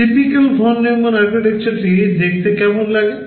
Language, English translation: Bengali, This is how typical Von Neumann Architectures look like